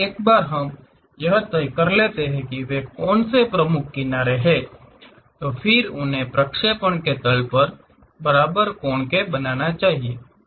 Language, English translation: Hindi, We once we decide what are those principal edges, they should make equal angles with the plane of projection